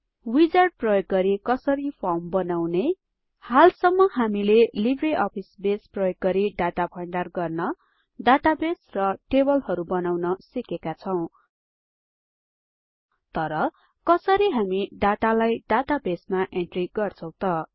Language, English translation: Nepali, How to create a form using the Wizard Using LibreOffice Base, so far, we learnt about creating a database and creating tables where we store the data